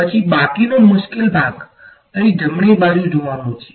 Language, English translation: Gujarati, Then the remaining tricky part is to look at the right hand side over here